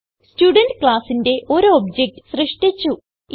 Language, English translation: Malayalam, Thus we have created an object of the Student class